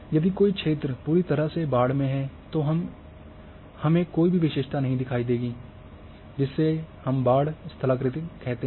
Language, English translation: Hindi, So, when we say that if a area is completely flood we do not see any features, so that we call has a flood topography